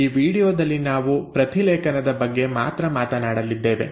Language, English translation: Kannada, In the next video we will talk about translation